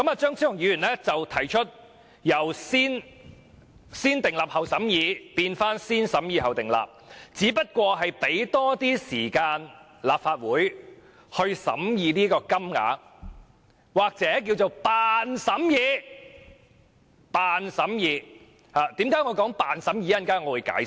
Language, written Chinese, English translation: Cantonese, 張超雄議員提出，由"先訂立後審議"，變回"先審議後訂立"，只是想讓立法會有多些時間審議有關金額，或者是"扮"審議，為甚麼我說"扮"審議，稍後我會解釋。, Dr Fernando CHEUNG proposes to change the way of revision from negative vetting to positive vetting so as to allow the Legislative Council to have more time to discuss or pretend to discuss the proposed amount . I will explain later why I said pretend to discuss